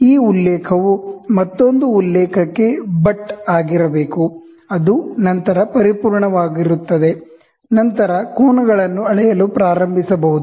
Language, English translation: Kannada, This reference should butt against another reference which is perfect then, only you can start measuring the angles